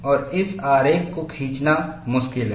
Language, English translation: Hindi, And this picture is easier to draw